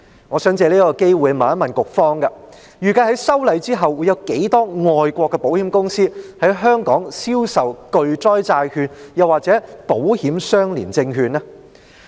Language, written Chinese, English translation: Cantonese, 我想藉此機會一問，局方預計在修例後會有多少外國的保險公司在香港銷售巨災債券或保險相連證券呢？, I wish to take this opportunity to raise these questions How many overseas insurers does the Bureau expect will sell catastrophe bonds or ILS in Hong Kong after the passage of the legislative amendments?